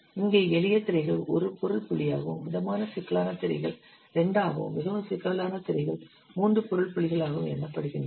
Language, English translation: Tamil, So here simple screens they are counted as one object point, moderately complex screens they are counted as two, and very complex screens they are counted as three objects points